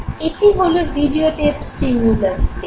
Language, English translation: Bengali, That would be the videotape stimulus tape